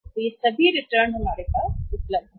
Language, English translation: Hindi, So, these all returns are also available with us